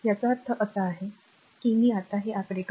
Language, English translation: Marathi, So, if we see that figure this figure 2